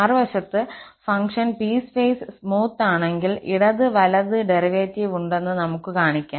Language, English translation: Malayalam, The other way round, we can show if the function is piecewise smooth, we can show that left and right derivative exists